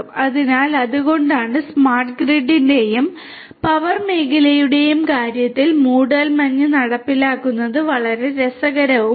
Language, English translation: Malayalam, So, that is why in the case of smart grid and power sector as well this thing is very interesting the implementation of fog is very interesting and efficient